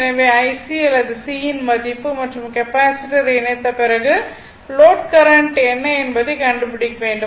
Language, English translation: Tamil, So, we have to find out what is I what is IC or C value and what is the load current after connecting the Capacitor so; that means, this is the problem define